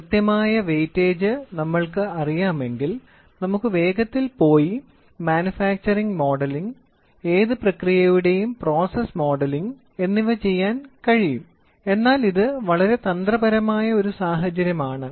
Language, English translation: Malayalam, If we know the exact weightage then we can quickly go do manufacturing modelling, process modelling of any process, but this is very a trickier situation